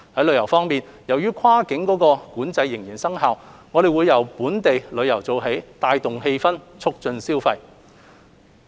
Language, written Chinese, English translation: Cantonese, 旅遊方面，由於跨境管制仍然生效，我們會由本地旅遊做起，帶動氣氛並促進消費。, With regard to tourism as cross border restrictions are still in place we will begin with local tourism so as to rebuild the citys vibrant atmosphere and stimulate consumption